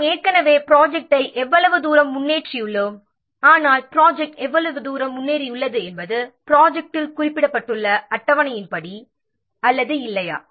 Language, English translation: Tamil, So, how far the progress we have already made the plan but how far the project is progressed is it according to the what schedule mentioned in the plan or not